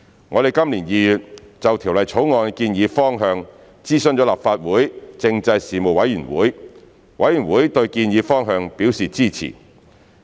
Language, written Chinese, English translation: Cantonese, 我們今年2月就《條例草案》的建議方向諮詢立法會政制事務委員會，委員對建議方向表示支持。, We consulted the Panel on Constitutional Affairs of the Legislative Council on the proposed direction of the Bill in February this year and Members expressed support for the proposed direction